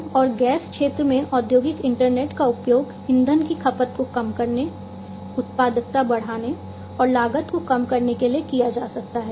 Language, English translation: Hindi, In the oil and gas sector the industrial internet can be used to reduce fuel consumption, enhancing productivity and reducing costs